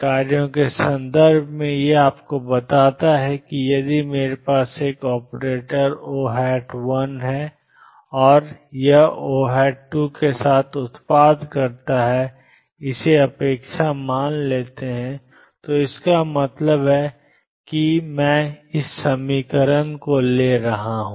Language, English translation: Hindi, In terms of functions what it tells you is if I have an operator O 1, and it is product with O 2 and take it is expectation value, what that means, is I am taking psi star x O 1 operator O 2 operator psi x dx